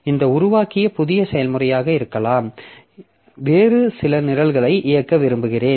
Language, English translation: Tamil, Maybe the new process that I have created here I want to execute some other program